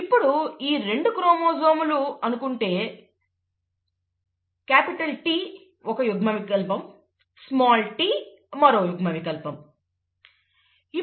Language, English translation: Telugu, So if these two are homologous chromosomes, capital T is an allele, and small t is another allele